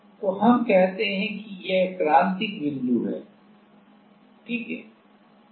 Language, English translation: Hindi, So, let us say this is the critical point ok